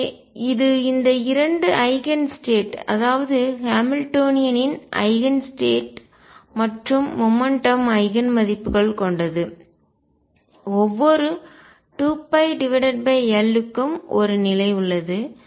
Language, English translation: Tamil, So, it as the Eigen state of both the Hamiltonian and the momentum with the Eigen values being here and every 2 pi by L there is a state